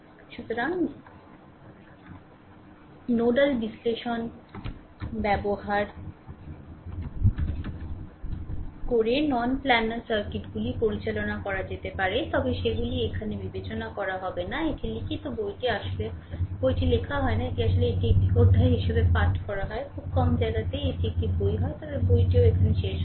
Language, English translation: Bengali, So, non planar circuits can be handled using nodal analysis, but they will not be considered here, it is written book actually book is not written it is actually you read it as a chapter few places, few places you will get it is a book, but [laughter] book book is not there not completed right